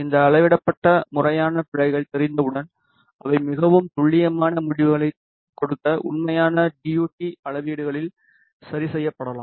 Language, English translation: Tamil, And once these quantified systematic errors are known they can be adjusted in the actual DUT measurements to give more accurate results